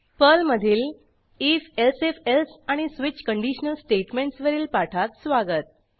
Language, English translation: Marathi, Welcome to the spoken tutorial on if elsif else and switch conditional statements in Perl